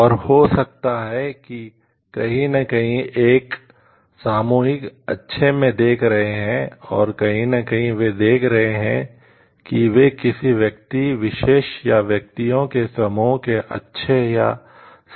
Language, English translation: Hindi, And maybe somewhere not we are looking into a collective good and somewhere not looking into the may be the good or the right of a particular individual or the group of individuals